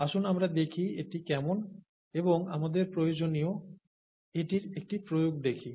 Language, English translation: Bengali, So let us see how that is and let us see an application of that towards our needs